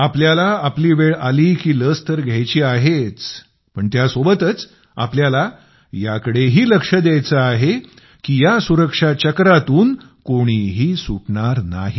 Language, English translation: Marathi, We have to get the vaccine administered when our turn comes, but we also have to take care that no one is left out of this circle of safety